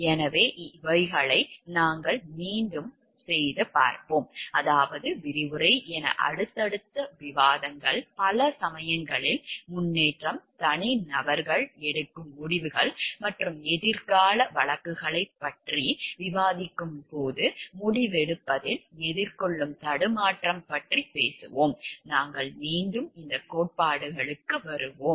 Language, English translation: Tamil, So, these we will come back and refer I mean subsequent discussions as the lecture, progresses in many cases we will when we are talking about the decisions taken by the individuals and the dilemma faced in taking out decision when we discuss future cases we will come back to these theories